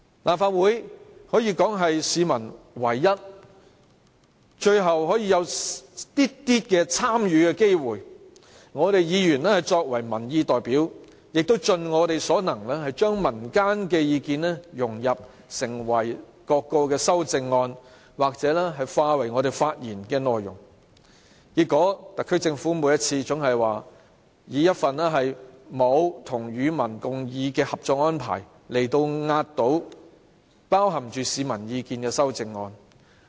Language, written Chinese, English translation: Cantonese, 立法會可謂是市民唯一、最後可以有少許參與機會的地方，我們議員作為民意代表，盡我們所能將民間的意見融入各項修正案或化為發言內容，但結果，特區政府每次總以一份沒有"與民共議"的《合作安排》壓倒包含市民意見的修正案。, The Legislative Council can be described as the only and last possible place allowing some little room for public engagement . We Members of this Council are peoples representatives . We do all we can to incorporate the opinions of the public into various amendments or to voice them in our speeches